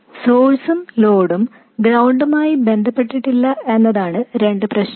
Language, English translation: Malayalam, The two problems are that the source and load are not ground referenced